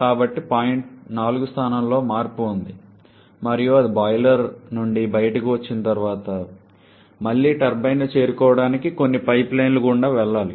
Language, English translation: Telugu, So, there is a change in the location of point 4 and once it comes out of the boiler then it again has to pass through some pipelines to reach the turbine